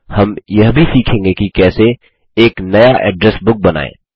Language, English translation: Hindi, We will also learn how to: Create a New Address Book